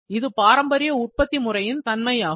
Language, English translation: Tamil, Now, this is generally in traditional manufacturing